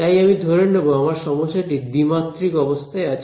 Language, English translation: Bengali, So, what I will do is, I will assume that my problem is two dimensional ok